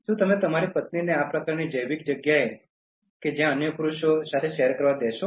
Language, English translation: Gujarati, Will you be able to let your wife share this kind of biological space with other men